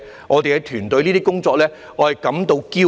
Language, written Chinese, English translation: Cantonese, 我對我團隊的工作感到驕傲。, I am proud of the work that my team has done